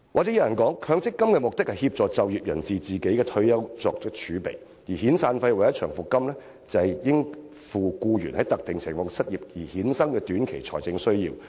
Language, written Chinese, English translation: Cantonese, 有人會說強積金的目的是協助就業人士為退休生活作儲備，而遣散費或長期服務金則為應付僱員在特定情況下失業的短期財政需要而設。, Some claims that the purpose of MPF is to help the employed population to prepare for their retirement while the purpose of severance and long service payments is to help an employee meet his short - term financial needs when he loses his job under specific circumstances